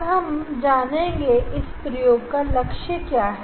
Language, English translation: Hindi, let us let us know what the aim of this experiment is